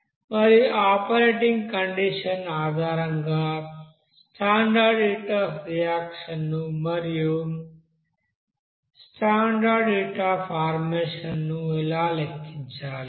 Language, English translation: Telugu, And also based on that you know operating condition how to calculate the standard heat of reaction based on the standard heat of formation